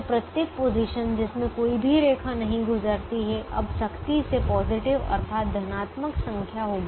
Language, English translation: Hindi, so every position that does not have any line passing through will now have a strictly positive number